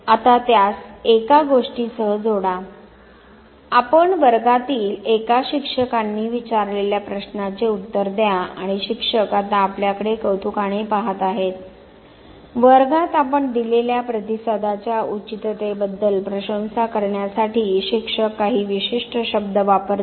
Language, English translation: Marathi, Now, associate it with one thing, you answer a question ask by a teacher in the class and the teacher now looks at you with admiration, the teacher uses certain words inorder to admire the appropriateness of the response that you have given in the class